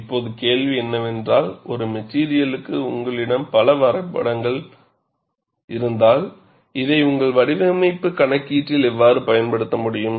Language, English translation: Tamil, Now, the question is if you have so many graphs for one material, how will you be able to use this, in your design calculation